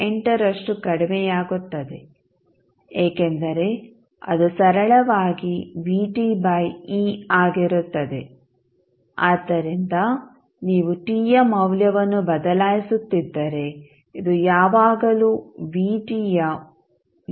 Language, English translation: Kannada, 8 percent of its previous value, why, because when you say Vt plus tau that means that, it is simply, Vt by e, so if you keep on changing the value of t this will always being equal to 36